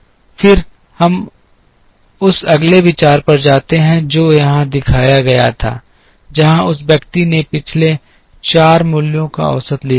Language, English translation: Hindi, Then we move to the next idea that was shown here, where the person had taken the average of the last 4 values